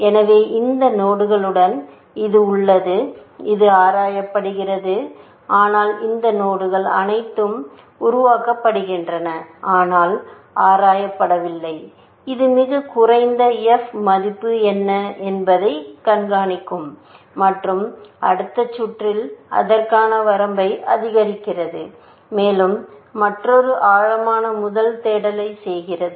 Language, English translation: Tamil, So, with all these nodes, which it has; this is explored; this is explored, but all these nodes, which is not explored, generated but not explored; it keeps track of a what is the lowest f value and increments the bound to that in the next round, and does another depth first search